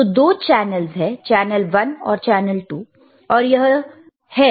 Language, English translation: Hindi, So, there is channel 2, there is channel one